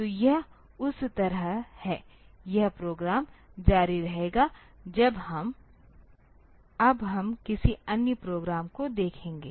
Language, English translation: Hindi, So, that way it is the this program will continue next we look into another program